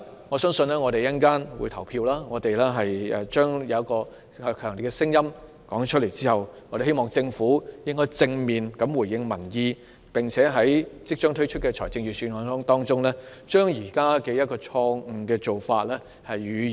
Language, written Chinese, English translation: Cantonese, 我們稍後便會投票，在我們表達出強烈的聲音之後，希望政府能夠正面回應民意，並且在即將發表的財政預算案中，修正現時的錯誤做法。, We will cast our votes later on . After we have voiced our strong opinions I hope the Government would positively respond to public views and rectify this faulty measure in the Budget soon to be delivered